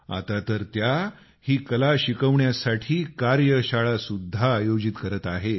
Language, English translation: Marathi, And now, she even conducts workshops on this art form